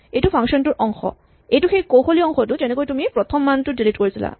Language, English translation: Assamese, This is part of the function; this is the tricky part which is how do you delete the first value